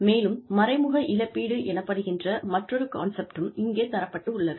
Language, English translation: Tamil, And, there is another concept here, called indirect compensation